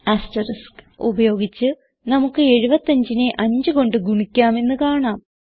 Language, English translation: Malayalam, we see that by using asterisk we could multiply 75 by 5